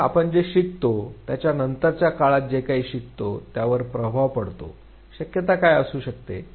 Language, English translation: Marathi, So, is it that what we learn first has any influence on what we learn later on, what could be the possibility